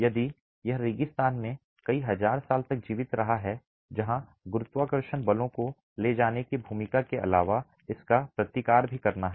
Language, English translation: Hindi, If it has survived several thousand years in the desert where apart from the role of carrying gravity forces it also has to counteract wind, right